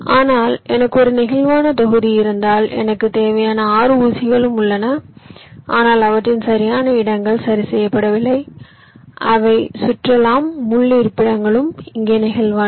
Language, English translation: Tamil, but if i have a flexible block where i know that there are six pins i need, but their exact locations are not fixed, they can move around